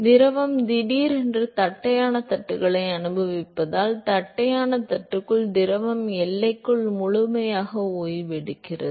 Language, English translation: Tamil, Because the fluid is suddenly experiencing the flat plate, and so, just inside the flat plate the fluid is come to complete rest at the boundary